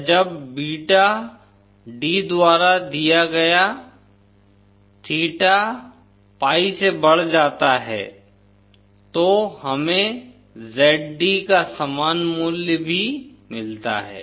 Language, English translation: Hindi, Or when theeta given by beta d increases by pi we also get the same value of Zd